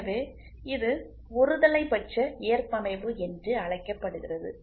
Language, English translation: Tamil, So, it is known as unilateral tolerance